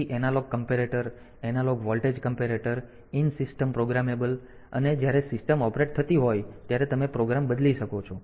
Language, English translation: Gujarati, So, then the analog comparator so analog voltage comparator then the in system programmable that is when the system is operating so can you change the program